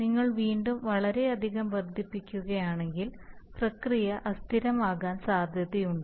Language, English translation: Malayalam, If you increase again too much it may happen that the process will become unstable